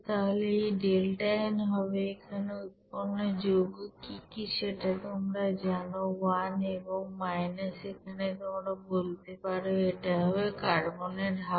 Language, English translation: Bengali, So this delta n will be is equal to here what will be the you know product side that is you know 1 and minus here you can say that it will be half this, this is carbon